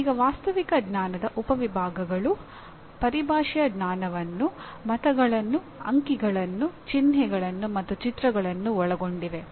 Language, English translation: Kannada, Now subtypes of factual knowledge include knowledge of terminology; words, numerals, signs, and pictures